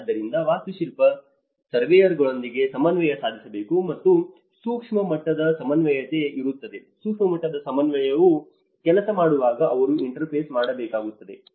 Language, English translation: Kannada, So, this is where architect has to again coordinate with the surveyors and there is a macro level coordination, when micro level coordination works they have to interface